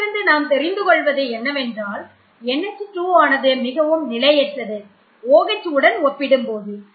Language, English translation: Tamil, 38 so what that indicates is that NH2 is more destabilizing as compared to OH